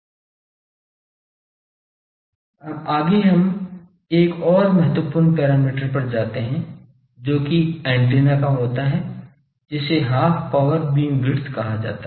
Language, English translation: Hindi, Now next we go to another important parameter that is of antenna that is called Half Power Beamwidth